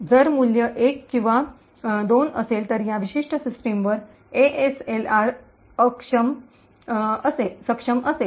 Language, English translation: Marathi, If, the value is either 1 or 2 it would mean that ASLR is enabled on that particular system